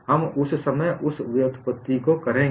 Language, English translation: Hindi, We will do that derivation at that time